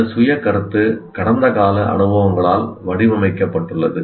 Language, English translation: Tamil, And this self concept is shaped by the past experiences